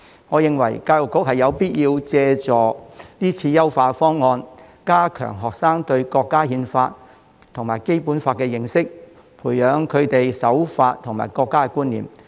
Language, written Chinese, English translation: Cantonese, 我認為教育局有必要借助這次辯論優化方案，加強學生對國家憲法和《基本法》的認識，培養他們對守法和國家的觀念。, I think there is a need for the Education Bureau EDB to make use of this debate to enhance its plans to strengthen students understanding of the Constitution and the Basic Law as well as cultivate their law - abiding attitude and sense of national identity